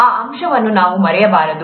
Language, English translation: Kannada, We should not forget that aspect